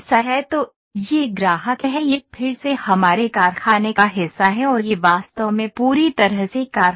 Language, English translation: Hindi, So, this is customer this is our again the part of factory only and manufacturing this is actually completely this is factory